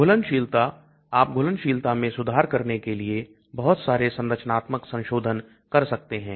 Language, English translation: Hindi, Solubility, you can do lot of structural modifications to improve solubility